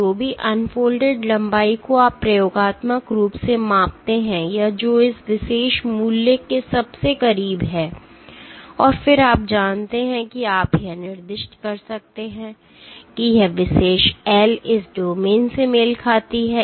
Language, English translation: Hindi, Whichever unfolded length that you experimentally measure tallies or is closest to this particular value, and then you know you can assign that this particular L corresponds to this domain